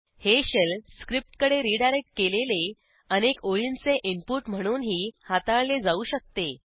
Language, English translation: Marathi, * It can also be treated as multiple line input redirected to a shell script